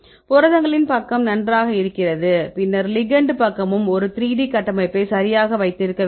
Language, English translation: Tamil, So, if you go the proteins side is fine, then go to ligand side, ligand side also we need to have a probable 3D structure right